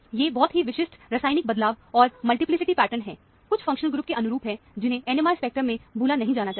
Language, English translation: Hindi, These are very characteristic chemical shift and multiplicity pattern, correspond to certain functional group, which should not be missed in the NMR spectrum